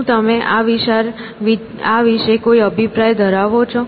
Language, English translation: Gujarati, Do you have any views on this